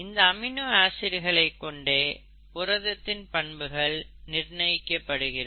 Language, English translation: Tamil, The nature of the amino acids, actually determines the nature of the proteins